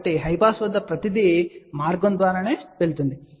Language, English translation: Telugu, So, at high pass everything will go through